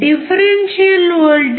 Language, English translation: Telugu, The differential voltage is 0